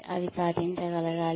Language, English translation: Telugu, They should be achievable